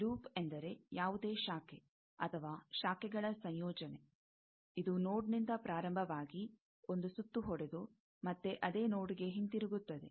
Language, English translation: Kannada, Loop means, any branch, or a combination of branches, which is starting from a node and making a round trip, and coming back to the same node